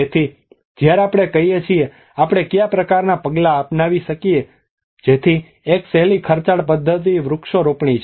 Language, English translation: Gujarati, So when we say about what kind of measures we can adopt so one easiest expensive method is planting the trees